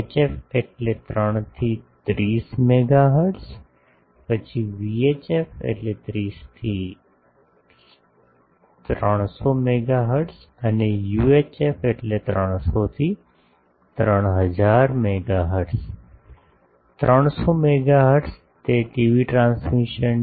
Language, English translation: Gujarati, HF means 3 to 30 megahertz, then VHF 30 to 300 megahertz and UHF that is 300 to 3000 megahertz, 300 megahertz, it, TV transmissions